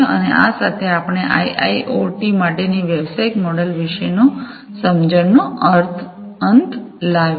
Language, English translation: Gujarati, And with this we come to an end of the understanding about the business models for IIoT